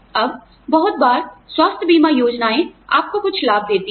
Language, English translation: Hindi, Now, a lot of times, health insurance schemes, give you some benefits